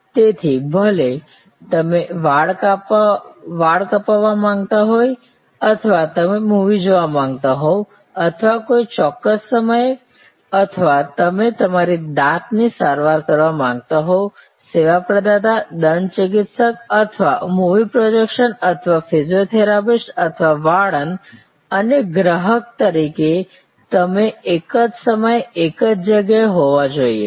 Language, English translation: Gujarati, So, whether you are looking for a hair cut or you are wanting to see a movie or at a particular point of time or you are wanting to get your dental treatment, the service provider, the dentist or the movie projection or the physiotherapist or the saloon personal and you as a service consumer must be there at the same place within the same time and space frame work